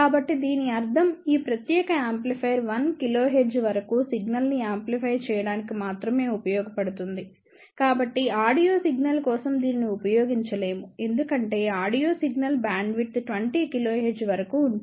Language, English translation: Telugu, So, that means, this particular amplifier will be only useful to amplify the signal up to 1 kilohertz; so, that means, it cannot be used for audio signal because audio signal bandwidth can be up to 20 kilohertz